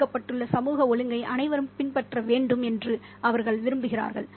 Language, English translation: Tamil, They want everybody to follow the social order that's been put in place